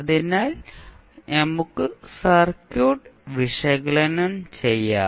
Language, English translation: Malayalam, And find out the response of the circuit